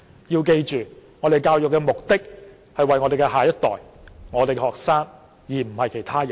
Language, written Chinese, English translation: Cantonese, 要記住，教育的目的是為了我們的下一代，我們的學生，而不是其他人。, We need to remember that education is for our next generation and our students not other people